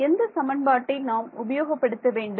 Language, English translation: Tamil, What equation do we want to use